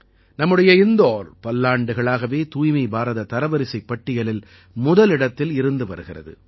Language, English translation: Tamil, Our Indore has remained at number one in 'Swachh Bharat Ranking' for many years